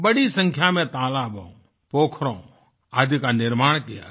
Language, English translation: Hindi, A large number of lakes & ponds have been built